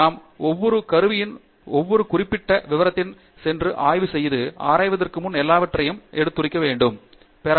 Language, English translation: Tamil, Do we go into every specific detail of every tool and pick up all the things before we embark on research